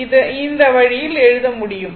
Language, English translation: Tamil, That means, this one you can write